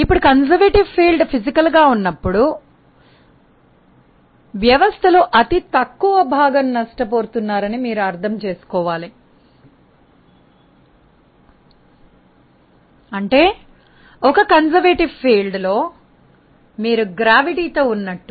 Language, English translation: Telugu, Now, when you have a conservative field physically it means that they are negligible dissipations in the system; just like if you have a conservative field as a gravity